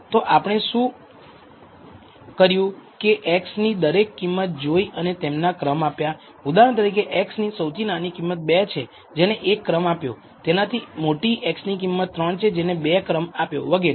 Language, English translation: Gujarati, So, what we have done is looked at all the individual values of x and assigned a rank to it for example, the lowest value in this case x value is 2 and it is given a rank 1 the next highest x value is 3 that is given a rank 2 and so on and so forth